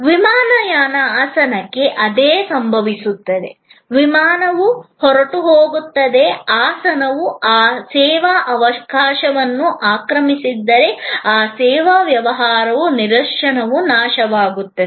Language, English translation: Kannada, Same thing happens to an airline seat, the flight takes off, if the seat is not occupied that service opportunity; that service business instance becomes a perishable, commodity